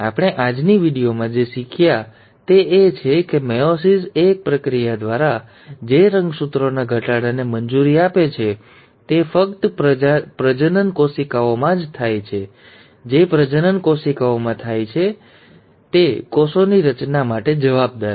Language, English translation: Gujarati, So what have we learnt in today’s video is that meiosis is a process which allows for reduction of chromosome, it happens only in the reproductive cells which are responsible for formation of gametes, and meiosis is divided into two stages, meiosis one and meiosis two